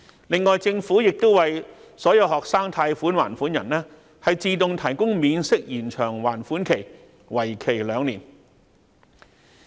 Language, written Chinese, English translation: Cantonese, 另外，政府亦為所有學生貸款還款人自動提供免息延長還款期，為期兩年。, Besides the Government also granted an interest - free deferral of loan repayments to all student loan repayers for a period of two years